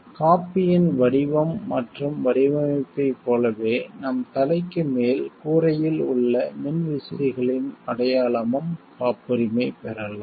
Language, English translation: Tamil, Like the shape and design of the coffee mug, of the fans on the ceiling above our head could be patented